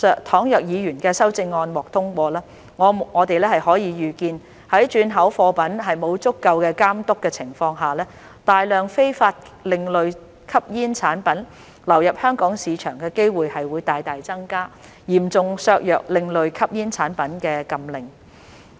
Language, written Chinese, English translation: Cantonese, 倘若議員的修正案獲通過，我們可以預見在轉口貨品沒有足夠監督的情況下，大量非法另類吸煙產品流入香港市場的機會會大大增加，嚴重削弱另類吸煙產品的禁令。, If the Members amendments are passed we can foresee that without adequate control of re - exports the chance of large quantities of illegal ASPs entering the Hong Kong market will be greatly increased and this will seriously weaken the ban on ASPs